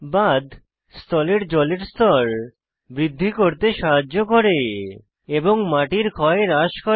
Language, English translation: Bengali, Check dams helped in increasing the ground water table and reduce soil erosion